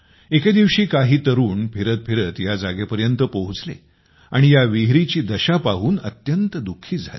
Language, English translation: Marathi, One day some youths roaming around reached this stepwell and were very sad to see its condition